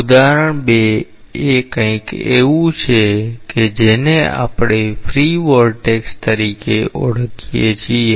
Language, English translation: Gujarati, Example 2 is something which we call as free vortex